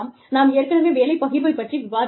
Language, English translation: Tamil, We have already discussed, job sharing, earlier